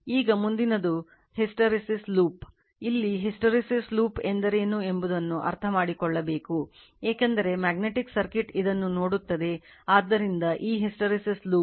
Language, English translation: Kannada, Now, next is the hysteresis loop, here we have to understand something what is hysteresis loop, because magnetic circuit you will see this one, so this hysteresis loop